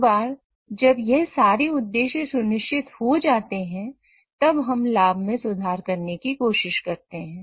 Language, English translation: Hindi, And once all these things are ensured, then try to look at improving the profit